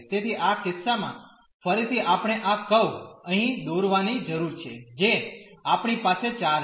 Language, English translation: Gujarati, So, in this case again we need to draw these curves here we have the 4